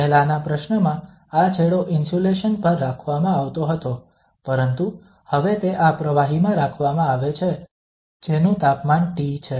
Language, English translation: Gujarati, In the earlier problem, this end was kept as insulation but now it is kept in this fluid whose temperature is T f